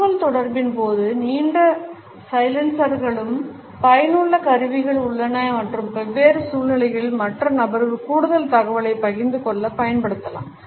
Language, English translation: Tamil, Longer silencers during communication are also in effective tool and in different situations can be used to get the other person to share additional information